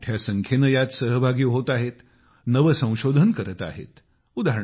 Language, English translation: Marathi, Farmers, in large numbers, of farmers are associating with it; innovating